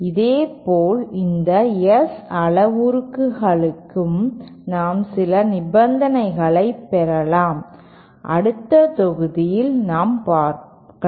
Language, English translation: Tamil, Similarly for these S parameters also we can derive certain conditions and that we shall derive in the next module